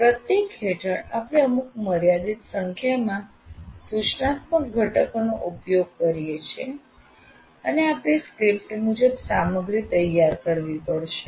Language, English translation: Gujarati, Under each one we are using some limited number of instructional components and you have to prepare material according to that